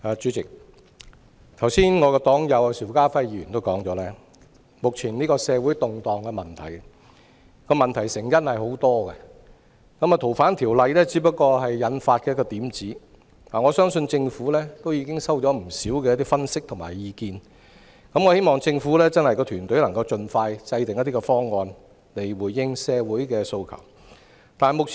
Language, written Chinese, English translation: Cantonese, 主席，我的黨友邵家輝議員剛才也指出，當前社會動盪的成因有很多，《2019年逃犯及刑事事宜相互法律協助法例條例草案》只是導火線而已，我相信政府已收到不少分析及意見，希望政府團隊能盡快制訂一些方案，以回應社會訴求。, President as pointed out by my party comrade Mr SHIU Ka - fai just now the prevailing social turmoil had many causes . The Fugitive Offenders and Mutual Legal Assistance in Criminal Matters Legislation Amendment Bill 2019 was only a trigger . I believe the Government has already received a lot of analyses and views